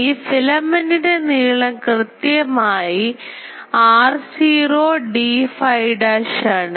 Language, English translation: Malayalam, So, here the length of this filament is clearly r naught d phi dash